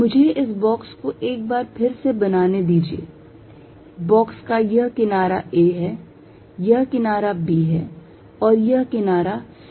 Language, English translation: Hindi, Let me make this box separately once more, this is the box for this side being a, this side being b and this side being c